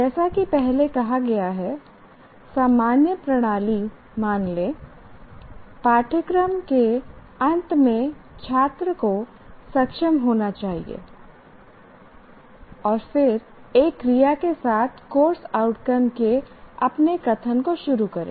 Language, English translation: Hindi, And we have already stated you assume the common stem at the end of the course the student should be able to, you write that and then start your statement of the course of the course outcome with an action verb